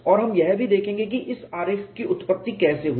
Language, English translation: Hindi, And will also how this diagram originated